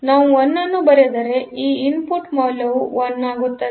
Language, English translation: Kannada, So, if we write a 1 then these value becomes 1